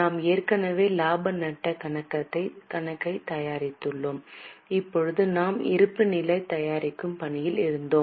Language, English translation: Tamil, We have already prepared the profit and loss account and now we were in the process of preparing the balance sheet